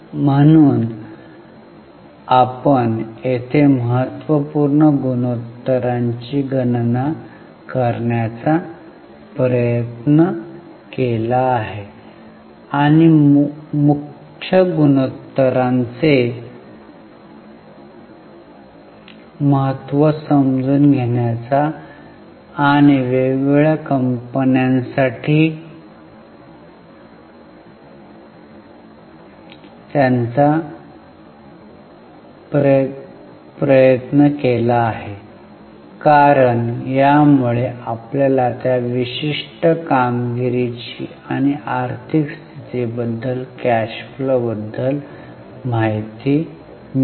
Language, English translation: Marathi, So, here we have tried to calculate number of important ratios and try to understand the significance of the major ratios and try to work them out for different companies because that will give you insight about the performance or financial position or cash flow of that particular company